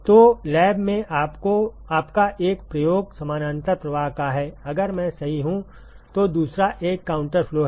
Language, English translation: Hindi, So, one of your experiments in the lab is of parallel flow, if I am right, the other one is a counter flow